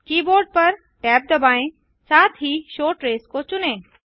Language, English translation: Hindi, Hit tab on the keyboard, also select the show trace on